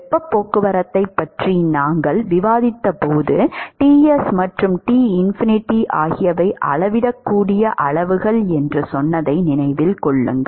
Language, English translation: Tamil, Remember that when we discussed heat transport we said that Ts and Tinfinity are measurable quantities